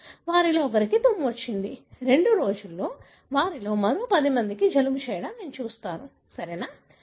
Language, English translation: Telugu, One of them sneeze; in two days, like I will see another 10 of them get the cold, right